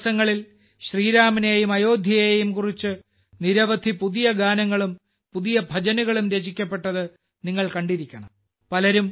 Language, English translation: Malayalam, You must have noticed that during the last few days, many new songs and new bhajans have been composed on Shri Ram and Ayodhya